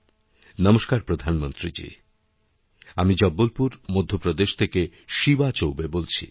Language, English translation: Bengali, "Namaskar Pradhan Mantri ji, I am Shivaa Choubey calling from Jabalpur, Madhya Pradesh